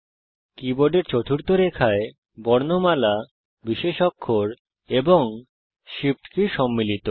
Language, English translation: Bengali, The fourth line of the keyboard comprises alphabets, special characters, and shift keys